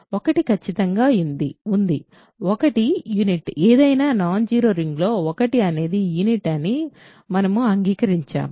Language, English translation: Telugu, There is 1 definitely 1 is a unit, in any non zero ring 1 is a unit we agreed